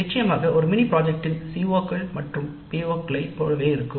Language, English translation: Tamil, Of course, CEOs of a mini project tend to be more like POs